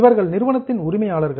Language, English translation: Tamil, These are the owners of the company